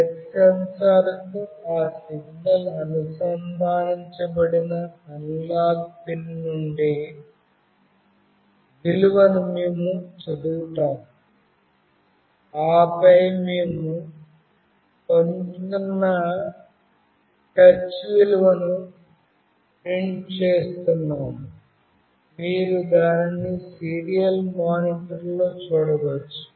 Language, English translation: Telugu, We will read the value from the analog pin through which that signal is connected to the touch sensor, and then we are printing the touch value we are getting, you can see that in the serial monitor